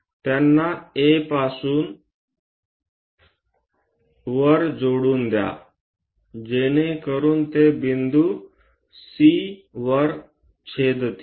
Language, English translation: Marathi, Join them, A to all the way up, so that these are going to intersect at point C